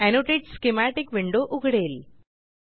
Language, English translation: Marathi, This will open the Annotate Schematic window